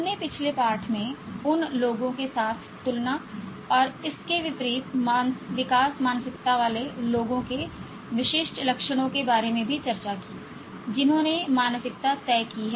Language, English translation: Hindi, We also discussed in the previous lesson about the distinguishing traits of growth mindset people in comparison and contrast with those people who have fixed mindset